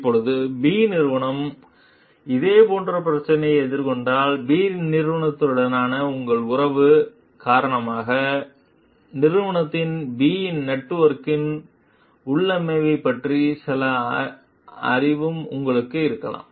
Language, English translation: Tamil, Now, if company B is having similar kind of problem then, because of your relationship of the come with company B, you may also have some knowledge about the configuration of like the company B s network